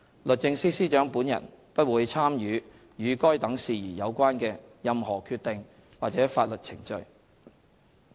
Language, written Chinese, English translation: Cantonese, 律政司司長本人不會參與與該等事宜有關的任何決定或法律程序。, The Secretary for Justice will not participate in any relevant decisions or legal proceedings regarding such matters